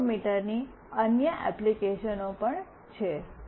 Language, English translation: Gujarati, There are other applications of accelerometer as well